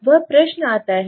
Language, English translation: Hindi, That question comes